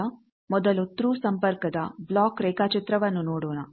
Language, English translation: Kannada, Now, first let us see the block diagram of a Thru connection